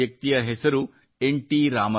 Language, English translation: Kannada, The name of this great personality is N